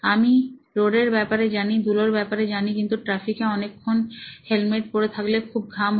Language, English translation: Bengali, I knew about the dust, but the heat of wearing the helmet for a long time during traffic actually leads to a lot of sweating